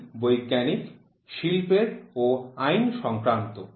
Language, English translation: Bengali, They are scientific, industrial, and legal